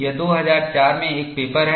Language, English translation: Hindi, It is a paper in 2004